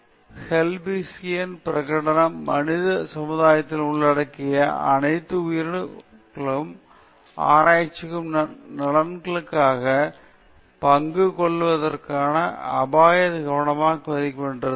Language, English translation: Tamil, Again, the declaration of Helsinki in 1964 mandated that all biomedical research projects, involving human subjects, carefully assess the risk of participation against the benefit